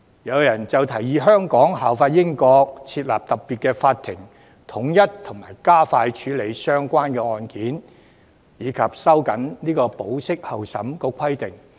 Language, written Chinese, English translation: Cantonese, 有人提議香港效法英國，設立特別法庭統一加快處理相關案件，以及收緊對保釋候審的規定。, Someone has proposed to follow the example of the United Kingdom and set up a special court to accelerate the processing of relevant cases and tighten the requirements for release on bail pending trial